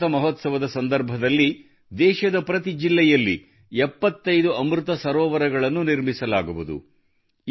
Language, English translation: Kannada, During the Amrit Mahotsav, 75 Amrit Sarovars will be built in every district of the country